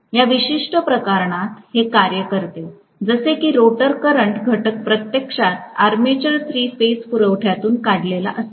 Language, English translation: Marathi, In this particular case, it works, as though the rotor current component is actually drawn from the armature three phase supply